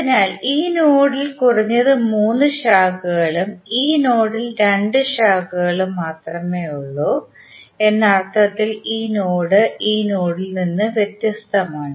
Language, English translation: Malayalam, So, now this node is different from this node in the sense that this node contains at least three branches and this node contains only two branches